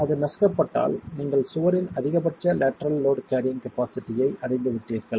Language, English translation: Tamil, And if that were to crush, then you have reached the maximum lateral load carrying capacity of the wall